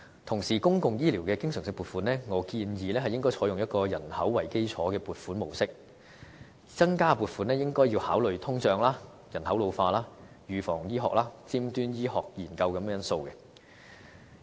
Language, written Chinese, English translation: Cantonese, 同時，就公共醫療的經常性撥款方面，我建議應採用以人口為基礎的撥款模式，增加撥款應該考慮通脹、人口老化、預防醫學、尖端醫學研究等因素。, And in respect of recurrent funding for public health care I suggest that we distribute the funding on the basis of demography so that in consideration of increases in funding we will take into account factors like inflation population ageing preventive health care advanced medicine and so on